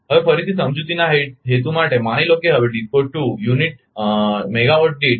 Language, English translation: Gujarati, Now again for the purpose of explanation again suppose now DISCO 2 demands 0